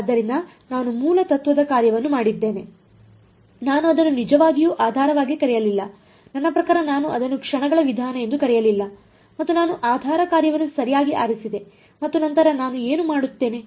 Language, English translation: Kannada, So, I did the basis function right, I did not really call it basis, I mean I did not call it method of moments and, but I chose a basis function right and then what would I do